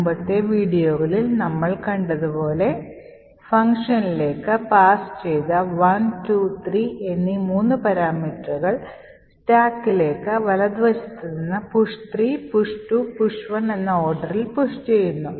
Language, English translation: Malayalam, And as we have seen in the previous videos the three parameters 1, 2 and 3 which is passed to the function a pushed on to the stack, so it is pushed from the right that is push 3, push 2 and push 1